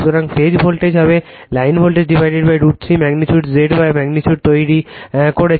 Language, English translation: Bengali, So, phase voltage will be line voltage by root 3 magnitude Z Y just you are making the magnitude